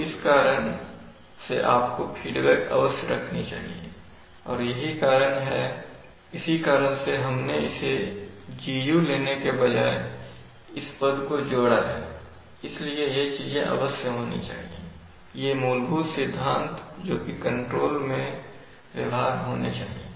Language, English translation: Hindi, So it is for this reason that you must keep the feedback and it is for that reason that we have added this term rather than taking Gu, so these things must be, these are some, you know, some fundamental principles which must be realized in control